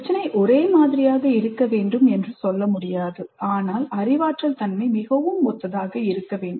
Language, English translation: Tamil, This is not to say that the problem should be identical but the cognitive nature should be quite similar